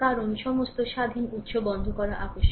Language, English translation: Bengali, Because, all independent sources must be turned off